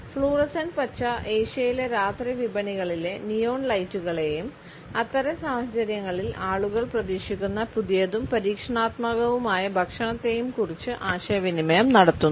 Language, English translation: Malayalam, The fluorescent green communicates the neon lights of Asia’s night markets as well as the fresh and experimental food which people expect in such situations